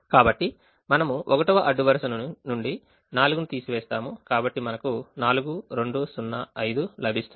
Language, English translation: Telugu, the row minimum in the first row is four, so we subtract four to get four, two zero, five, and so on